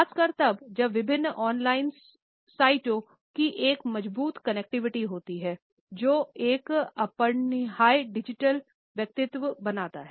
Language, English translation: Hindi, Particularly, when there is a strong connectivity of different on line sites, which creates an inescapable digital personality